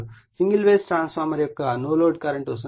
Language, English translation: Telugu, Single phase transformer takes a no load current of 0